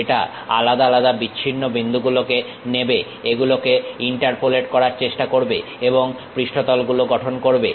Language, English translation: Bengali, It picks isolated discrete points try to interpolate it and construct surfaces